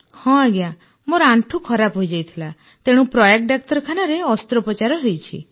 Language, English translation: Odia, Yes, my knee was damaged, so I have had an operation in Prayag Hospital |